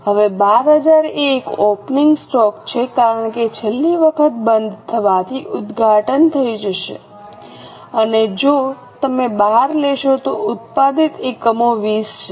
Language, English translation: Gujarati, Now, 12,000 is an opening inventory because last time closing will become opening and if you take 12, the units to be produced are 20